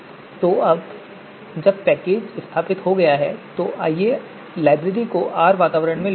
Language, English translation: Hindi, So package is now installed, so let us load the library into R environment